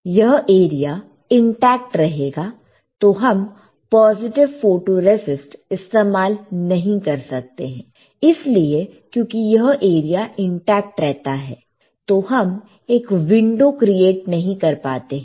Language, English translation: Hindi, So, we cannot use positive photoresist, is it not because if this area is intact, we cannot create a window